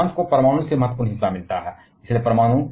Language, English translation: Hindi, Whereas, France gets the significant share from nuclear